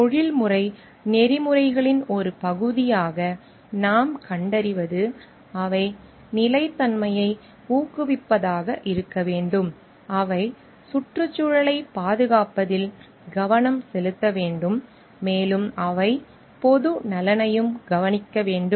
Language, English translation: Tamil, Also what we find as a part of professional ethics, they should be promoting sustainability, they should be looking into environmental protection and they should be looking into public welfare also